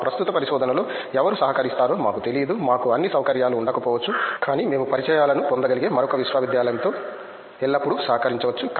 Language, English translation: Telugu, We don’t know who will be collaborating in our current research itself, we might not have all the facilities, but we can always collaborate with another university we can get the contacts